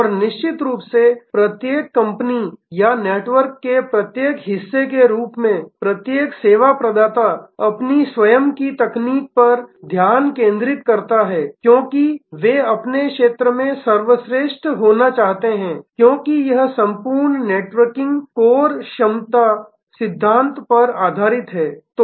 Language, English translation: Hindi, And of course, as each company or each part of the network each service provider focuses on his own technology; because they are want to be the best in their field, because this entire networking is based on core competency principle